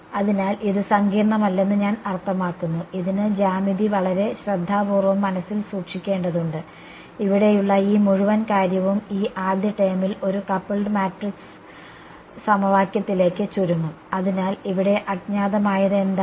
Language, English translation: Malayalam, So, I mean it is not complicated, it is have to keep geometry very carefully in mind and this whole thing over here will boil down to a coupled matrix equation this first term over; so, what is the unknown over here